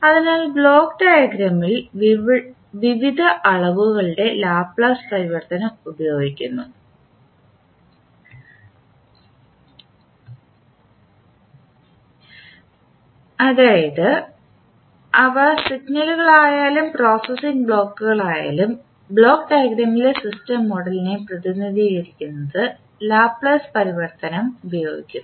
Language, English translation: Malayalam, So in the block diagram we use the Laplace transform of various quantities whether these are signals or the processing blocks we used the Laplace transform to represent the systems model in block diagram